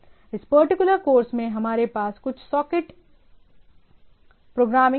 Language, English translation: Hindi, So, in this particular course we will have some socket programming